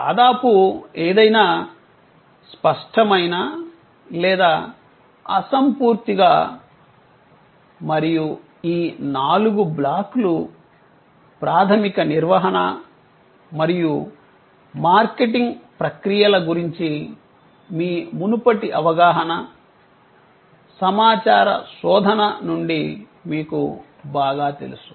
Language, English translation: Telugu, Almost anything, tangible or intangible and these four blocks are well known from your previous understanding of basic management and marketing processes, information search that is where it starts were you felt the need